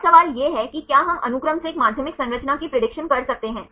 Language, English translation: Hindi, Now the question is whether we can predict a secondary structure from the sequence